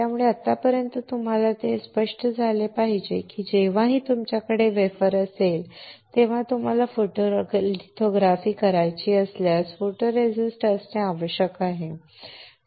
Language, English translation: Marathi, So, until now it should be clear to you that whenever you have a wafer you have to have photoresist, if you want to do a photolithography